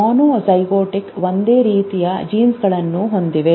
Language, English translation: Kannada, Monozygotics have the same set of genes